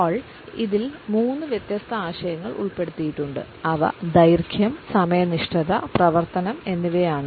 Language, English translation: Malayalam, Hall has included three different concepts within it and these are duration, punctuality and activity